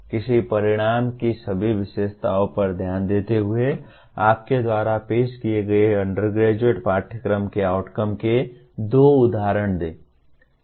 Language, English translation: Hindi, Give two examples of outcomes of an undergraduate course offered by you paying attention to all the features of an outcome